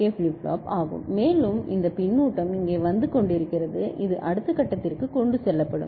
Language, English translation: Tamil, So, this is the JK flip flop with the feedback and all and this feedback is coming over here which will be carried to the next level ok